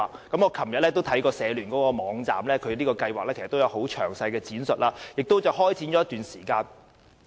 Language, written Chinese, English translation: Cantonese, 我昨天曾瀏覽社聯的網站，當中詳細闡述了有關計劃，亦已開始了一段時間。, Yesterday I visited HKCSSs website and there is a detailed description of the Movement which has already been implemented for some time